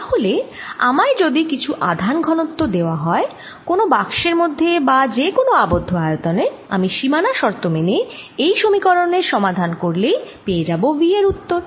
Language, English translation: Bengali, so if i am given some charge density inside a box or some other close volume, some charge density, i solve this equation with the boundary condition and that gives me the answer for v